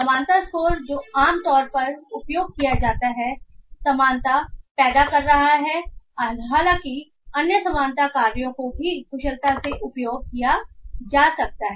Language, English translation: Hindi, The similarity score that typically used is cousin similarity though other similarity functions can also be efficiently used